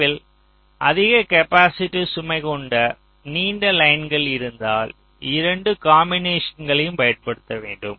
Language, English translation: Tamil, so if you have a long line with high capacitance load at the end, you have to use a combination of the two